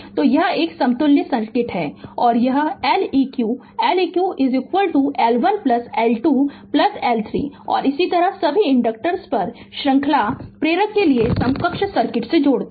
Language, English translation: Hindi, So, this is an equivalent circuit and this is L eq L eq is equal to L 1 plus L 2 plus L 3 and so on all the inductors you add equivalent circuit for the series inductor